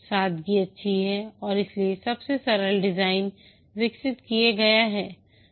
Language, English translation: Hindi, Simplicity is good and therefore the simplest design is developed